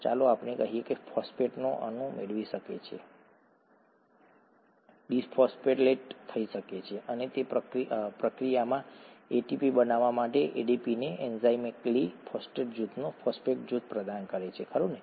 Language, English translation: Gujarati, Let’s say a phosphate molecule, can get, can get dephosphorylated and in that process, provide the phosphate group to ADP enzymatically to create ATP, right